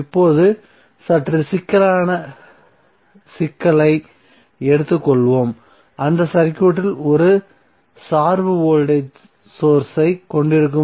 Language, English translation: Tamil, Now let us take slightly complex problem where you have 1 dependent voltage source in the circuit